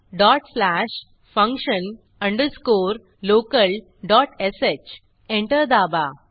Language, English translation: Marathi, Type dot slash function underscore local dot sh Press Enter